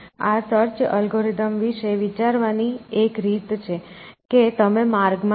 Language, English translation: Gujarati, So, one way of thinking about this search algorithms is to imagine that, you are in a maze